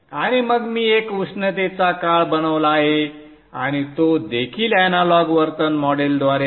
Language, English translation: Marathi, And then I have made a summer and that is also by the analog behavioral model